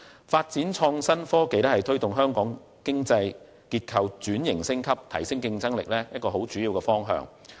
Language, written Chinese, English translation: Cantonese, 發展創新科技是推動香港經濟結構轉型升級、提升競爭力的主要方向。, The development of IT is the major direction for promoting the upgrading and transformation of Hong Kongs economic structure and enhancing its competitiveness